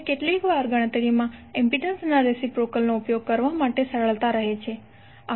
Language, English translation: Gujarati, Now sometimes it is convenient to use reciprocal of impedances in calculation